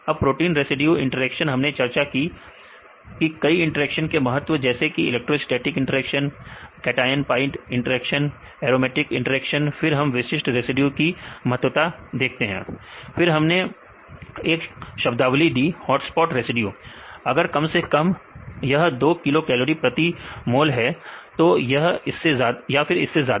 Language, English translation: Hindi, Now protein residue interactions we discussed importance of few interactions like electrostatic interactions, cation pi interactions, aromatic interactions right then we can get the importance of specific residues using the binding affinity upon mutation right, if you can see the free energy change of more than 2 kilo cal per mole right